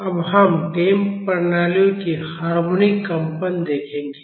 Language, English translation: Hindi, Now, we will see the harmonic vibrations of damped systems